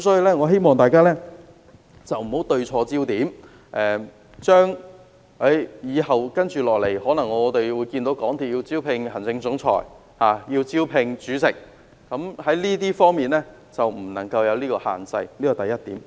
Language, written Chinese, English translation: Cantonese, 我希望大家不要對錯焦點，我們未來可能看到港鐵公司物色行政總裁和主席，希望它不要設下這些限制，這是第一點。, I hope Members will not put their focus on the wrong place . MTRCL may recruit its Chief Executive Officer or Chairman in the future . I hope that it will not lay down such a restriction